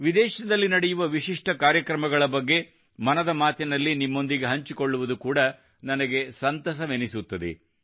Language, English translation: Kannada, And I also like to sometimes share with you the unique programs that are going on abroad in 'Mann Ki Baat'